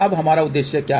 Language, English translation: Hindi, Now, what is our objective